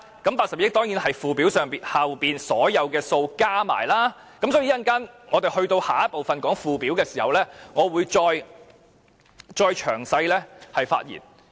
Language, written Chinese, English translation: Cantonese, 這82億元當然是附表內所有數目加起來，所以稍後討論附表時，我會再詳細發言。, It is of course the total of all the figures in the Schedule . Hence I will speak again in detail during the debate on the Schedule later